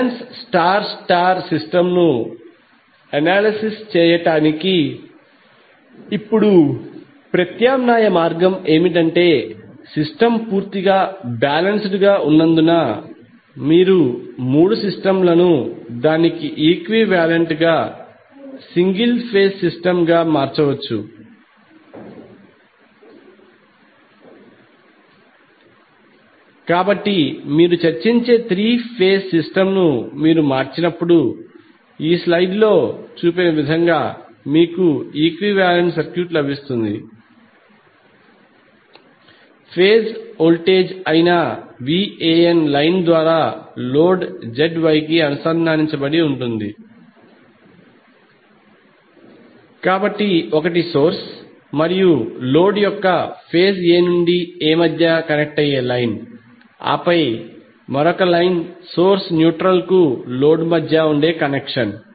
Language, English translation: Telugu, Now alternative way of analyzing the balance star star system is to convert it into per phase because the system is completely balanced you can convert the three system to its equivalent single phase system, so when you convert the three phase system which we are discussing then you get the equivalent circuit as shown in this slide here the VAN that is phase voltage is connected to the load ZY through the line, so one is line connecting between phase A to A of the source and load and then another line is for connection between neutral of the source and load